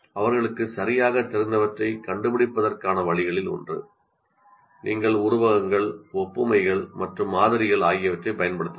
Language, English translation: Tamil, One of the ways to find out what exactly they know, you can make use of similes and analogies and models